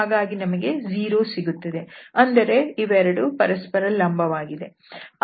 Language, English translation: Kannada, So we get the 0, so they two are perpendicular